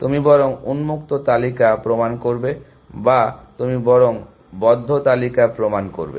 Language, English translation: Bengali, Would you rather proven the open list or would you rather proven the close list